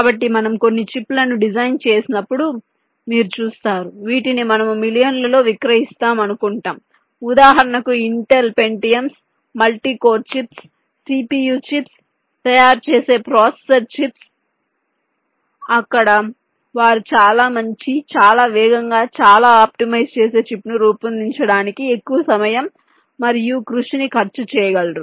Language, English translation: Telugu, so you see, ah, when you design some chips which we except to cell in millions, for example the processor chips which intel manufactures, the pentiums, the multicore chips, cpu chips they are, they can effort to spend lot more time and effort in order to create a chip which is much better, much faster, much optimize